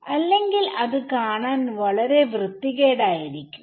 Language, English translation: Malayalam, Otherwise, it will look very ugly